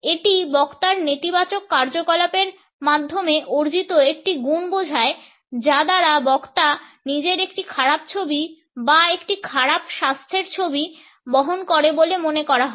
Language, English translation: Bengali, It seems to imply a quality acquired through negative activities conveying a poor image or a poor health image of the speaker